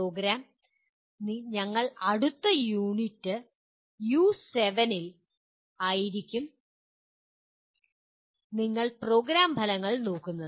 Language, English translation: Malayalam, And the program, we will be in the next unit U7 you will be looking at the Program Outcomes